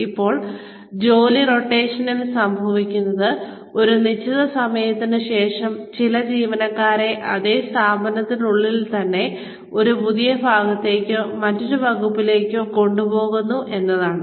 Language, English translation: Malayalam, Now, what happens in job rotation is that, after a certain period of time, some employees are taken to a new part, or a different department, within the same organization